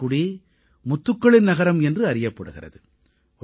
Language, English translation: Tamil, Thoothukudi is also known as the Pearl City